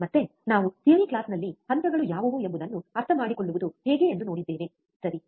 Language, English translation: Kannada, Again, we have seen in the theory class how we can understand what are the phases, right